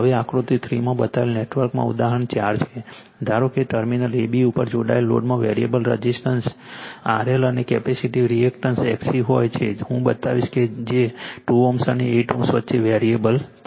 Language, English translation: Gujarati, Now, example 4 in the network shown in figure 3; suppose the load connected across terminal A B consists of a variable resistance R L and a capacitive reactance X C I will show you which is a variable between 2 ohm, and 8 ohm